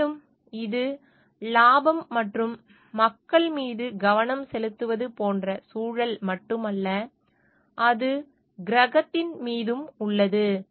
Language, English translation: Tamil, And it is not only the eco like focus on the profit, and the people, but it also on the planet